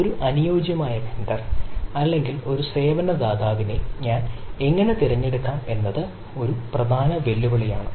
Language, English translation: Malayalam, and how do i choose a ideal vendor or a service provider is one of the major challenge